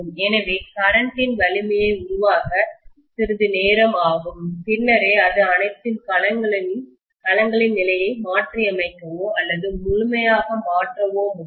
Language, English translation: Tamil, So it takes a while for the current strength to build up and then only it can reverse or completely reverse the position of all the domains